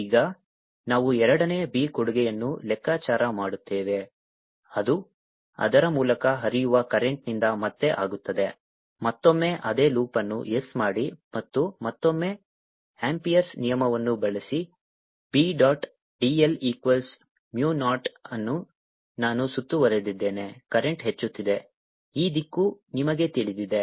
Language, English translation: Kannada, now we'll calculate the second b contribution to b, which will be again due to the current carrying through it, again make the same loop of s and again use the amperes law: b, dot, d, l equals to mu naught i, enclosed